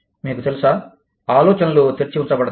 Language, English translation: Telugu, You know, ideas are thrown open